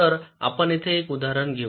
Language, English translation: Marathi, so lets take an example here